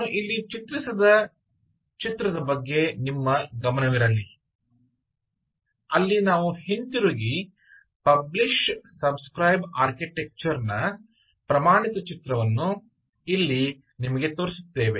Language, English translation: Kannada, i want you to draw your attention to the picture i have drawn here where we go back and show you the standard picture of a publish subscribe architecture out